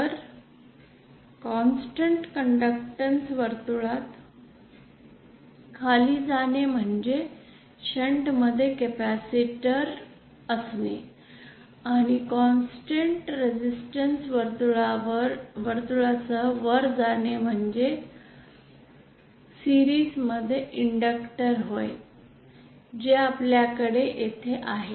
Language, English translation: Marathi, So going down along a constant conductance circle means a capacitor in shunt and going up along a constant resistance circle means an inductor in series so that’s what we have here